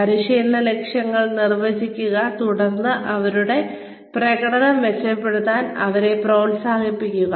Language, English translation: Malayalam, Define the training objectives, then encourage them to improve their performance